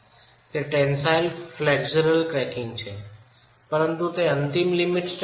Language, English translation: Gujarati, What has happened now is tensile flexual cracking but that is not an ultimate limit state